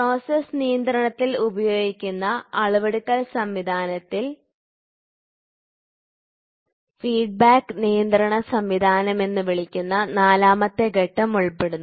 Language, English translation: Malayalam, The measuring system employed in process control comprises a fourth stage called as feedback control system